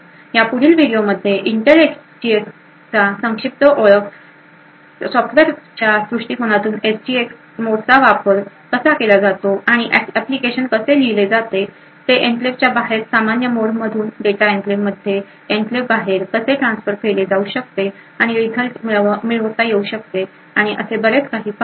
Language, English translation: Marathi, In this video we had a brief introduction to Intel SGX in the next video will look at how a move from a software perspective and see how applications are written how the SGX mode is used and how data can be transferred from a normal mode outside the enclave into the enclave and get the result and so on, thank you